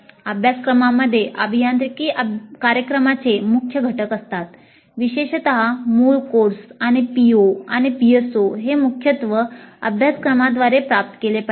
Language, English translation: Marathi, Courses constitute major elements of an engineering program particularly the core courses and POs and PSOs have to be majorly attained through courses